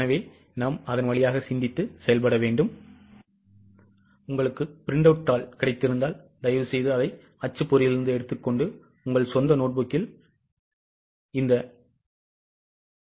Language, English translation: Tamil, So go through it and if you have got a printout you can take it from the printout also and start preparing in your own notebook